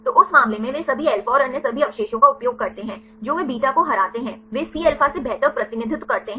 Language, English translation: Hindi, So, that case they use all alpha and all other residues they beat beta right they represent better than the Cα